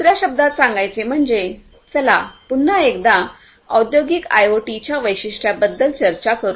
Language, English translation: Marathi, In other words, in a nutshell; let us talk about the specificities of industrial IoT once again